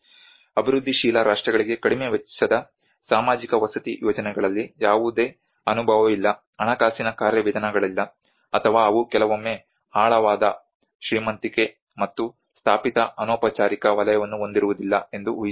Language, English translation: Kannada, Often assuming that developing countries have no experience in low cost social housing schemes, no finance mechanisms, nor they do sometimes possess a profoundly rich and established informal sector